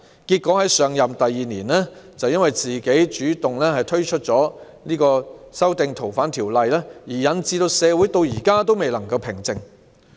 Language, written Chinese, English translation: Cantonese, 結果她在上任第二年便主動提出修訂《逃犯條例》，令社會至今未能平靜。, As a result she took the initiative to propose amendments to the Fugitive Offenders Regulations a year after taking office such that our society has not been calm up till now